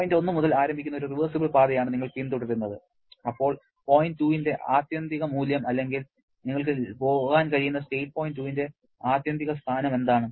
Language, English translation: Malayalam, You are following a reversible path starting from point 1, then what is the ultimate value of point 2 or ultimate position of point 2 that you can go for